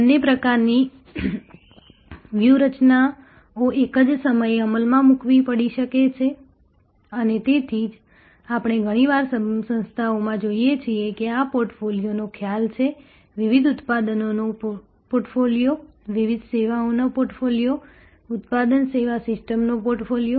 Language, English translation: Gujarati, Both types of strategies may have to be executed at the same time and that is why we often see in organizations, that there is this concept of portfolio, portfolio of different products, portfolio of different services, portfolio of product service systems